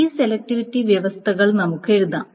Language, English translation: Malayalam, So the selectivity, so there are multiple conditions